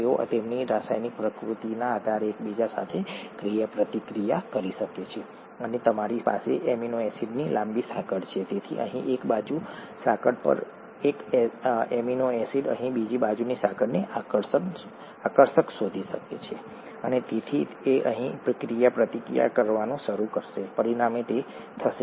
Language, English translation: Gujarati, They could interact with each other depending on their chemical nature and you have a long chain of amino acids, so one amino acid here on one side chain could find another side chain attractive here, and therefore it will start interacting here as a result it will bend the entire protein here, right